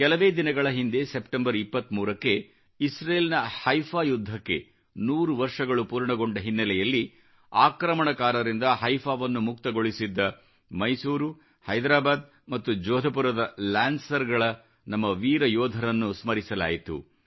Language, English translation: Kannada, A few days ago, on the 23rd of September, on the occasion of the centenary of the Battle of Haifa in Israel, we remembered & paid tributes to our brave soldiers of Mysore, Hyderabad & Jodhpur Lancers who had freed Haifa from the clutches of oppressors